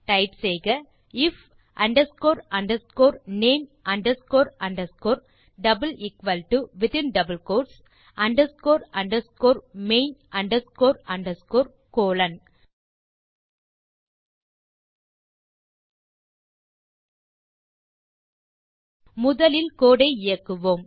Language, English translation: Tamil, So type if underscore underscore name underscore underscore == within double quotes underscore underscore main underscore underscore colon Let us first run the code